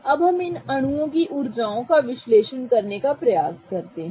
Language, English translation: Hindi, Now let us try to analyze the energies of these molecules